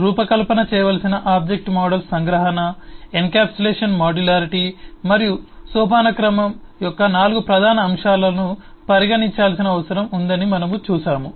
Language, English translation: Telugu, we have eh seen that eh object models ehh to be designed, need to consider 4 major aspects of abstraction, encapsulation, modularity and hierarchy